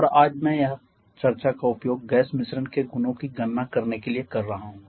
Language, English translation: Hindi, And today which I will be using the discussion to calculate the properties of gas mixtures now to calculate the properties of gas mixtures